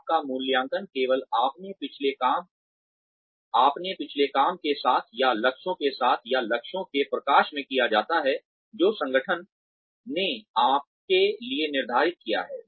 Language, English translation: Hindi, You are assessed, not only with your own previous work or with the goals, or in light of the goals, that the organization has set for you